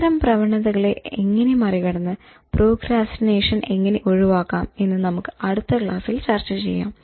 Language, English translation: Malayalam, Now, in the next lecture we will learn how to sort out these kind of tendencies and how to beat procrastination and overcome